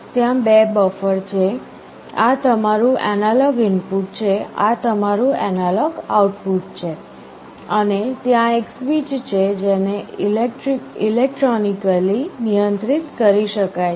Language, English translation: Gujarati, There are two buffers, this is your analog input, this is your analog output, and there is a switch which can be controlled electronically